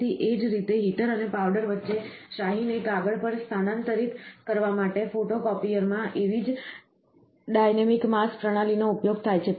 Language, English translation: Gujarati, So, in the same way, dynamic mass systems similar to those used in a, in a photocopier to transfer ink to paper is used between the heater and the powder